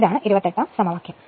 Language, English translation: Malayalam, So, this is equation 24